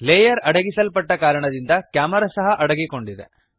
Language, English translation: Kannada, Since the layer is hidden the camera gets hidden too